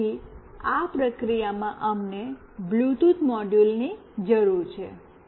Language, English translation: Gujarati, So, in this process we need a Bluetooth module